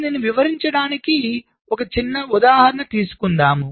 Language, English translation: Telugu, lets take an example, small example, to illustrate this